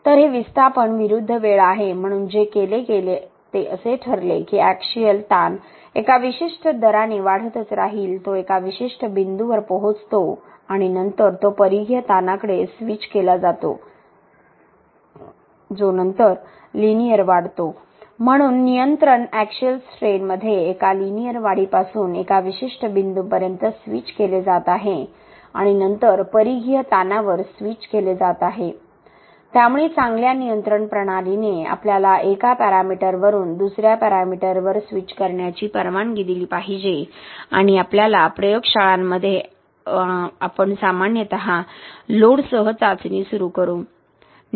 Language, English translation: Marathi, So this is the displacement versus time okay, so what was done is it was decided that the axial strain would keep increasing in a certain rate, it reaches a certain point and then it is switches to the circumferential strain which then increases linearly, so the control has being switched from a linear increase in axial strain until a certain point and then switched to the circumferential strain, so good control system should allow us to switch from one parameter to the other and in our labs generally we would start of a test with load control and then switched to some strain control could be axial then circumferential depending on the test